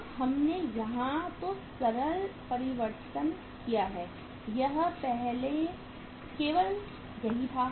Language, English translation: Hindi, Now simple change we have made here is earlier this was only there